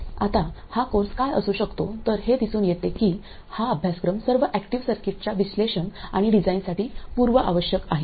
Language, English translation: Marathi, It turns out that this course is prerequisite for analysis and design of all active circuits